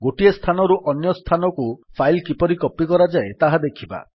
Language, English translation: Odia, Let us see how to copy a file from one place to another